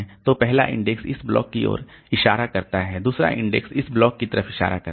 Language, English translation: Hindi, So, the first index points to this block, second index points to this block